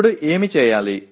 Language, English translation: Telugu, Now what can happen